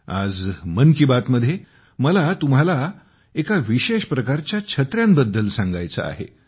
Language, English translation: Marathi, Today in ‘Mann Ki Baat’, I want to tell you about a special kind of umbrella